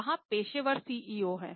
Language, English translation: Hindi, There are professional CEOs